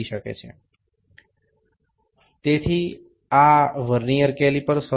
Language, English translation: Bengali, So, this was the Vernier caliper